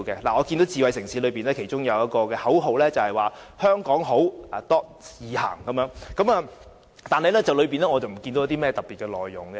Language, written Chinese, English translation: Cantonese, 我看見智慧城市的其中一句口號是"香港好.易行"，但我看不見當中有甚麼特別的內容。, I note that one of the smart city slogans reads Walk in HK though I have not seen any specific details about the initiative